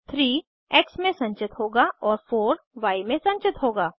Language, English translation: Hindi, 3 will be stored in x and 4 will be stored in y